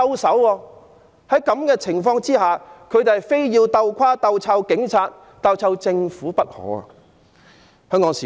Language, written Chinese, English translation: Cantonese, 在這種情況下，他們非要"鬥垮"、"鬥臭"警察及"鬥臭"政府不可。, Under such circumstance they will never stop until they successfully disband and discredit the Police and discredit the Government